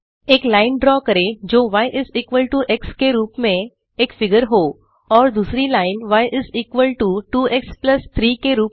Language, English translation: Hindi, Draw a line of the form y is equal to x as one figure and another line of the form y is equal to 2x plus 3